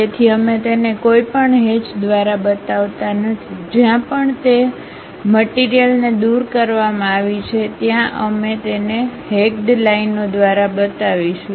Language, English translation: Gujarati, So, we do not show it by any hatch; wherever material has been removed that part we will show it by hatched lines